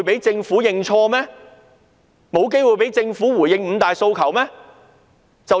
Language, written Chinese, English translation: Cantonese, 政府沒有機會回應"五大訴求"嗎？, Did the Government have no chance to respond to the five demands?